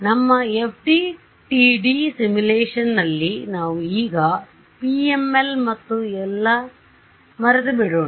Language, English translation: Kannada, So, in our FDTD simulation let us for now forget PML and all that right